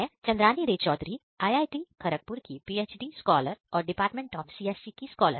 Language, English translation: Hindi, Hello everyone my name is Chandrani Ray Chaudhary PhD research scholar of IIT, Kharagpur and department of CSE